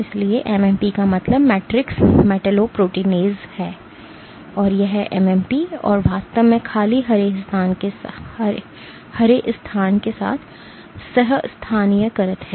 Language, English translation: Hindi, So, MMP’s stands for matrix metalloproteinase, these MMP’s and actually colocalizing with the empty green space